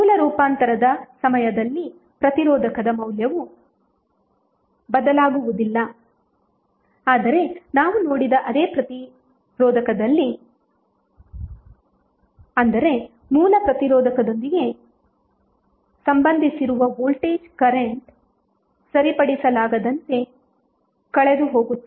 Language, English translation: Kannada, The resistor value does not change during the source transformation this is what we have seen however it is not the same resistor that means that, the current of voltage which are associated with the original resistor are irretrievably lost